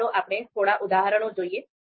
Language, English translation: Gujarati, So let’s see a few examples